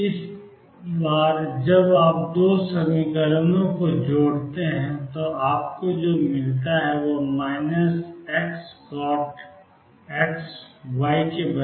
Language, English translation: Hindi, This time when you combine the two equations what you get is minus x cotangent of x is equal to y